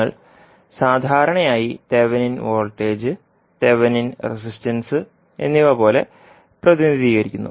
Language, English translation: Malayalam, You generally represent it like thevenin voltage and the thevenin resistance